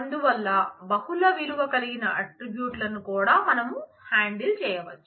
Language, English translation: Telugu, So, with that we can handle multiple multivalued attributes also